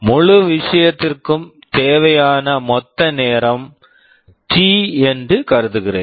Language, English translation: Tamil, Let me assume that the total time required for the whole thing is T